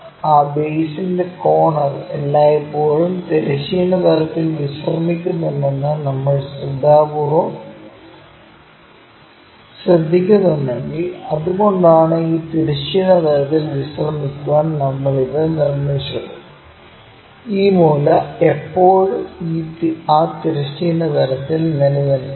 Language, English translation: Malayalam, If we are carefully noting corner of that base is always be resting on horizontal plane, that is the reason we made it to rest it on this horizontal plane and this corner still rests on that horizontal plane